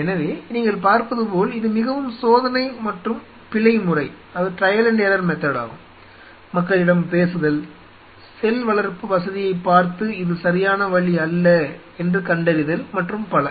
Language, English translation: Tamil, So, you can see it was very trial and error you know talking to people and seeing the facility and figuring this is another right way, this is like you know